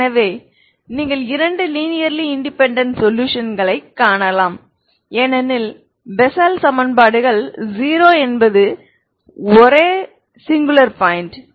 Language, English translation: Tamil, So you can find the two linear independent solutions ok because you see the bessel equations 0 is the only singular point